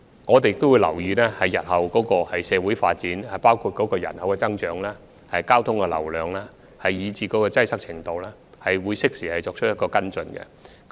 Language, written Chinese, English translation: Cantonese, 我們也會留意日後的社會發展，包括人口增長、交通流量和擠塞程度，適時作出跟進。, We will also pay attention to the future social development including population growth traffic flow and the degree of congestion and will follow up the situation in due course